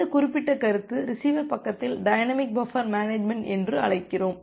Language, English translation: Tamil, So, this particular concept, we call as the dynamic buffer management at the receiver side